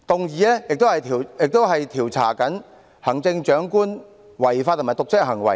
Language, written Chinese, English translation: Cantonese, 議案亦要求調查行政長官的違法和瀆職行為。, The motion seeks to investigate the charges against the Chief Executive for breach of law and dereliction of duty